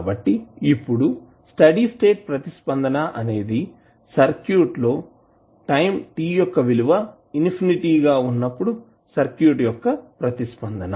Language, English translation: Telugu, So, now this steady state response is the response of the circuit at the time when time t tends to infinity